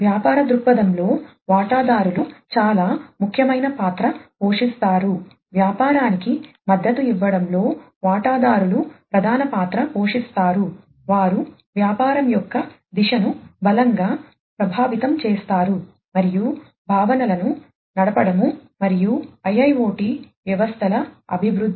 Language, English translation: Telugu, Stakeholders play a very important role in the business viewpoint, the stakeholders play the major role in supporting the business, they strongly influence the direction of the business, and driving in the conception, and development of IIoT systems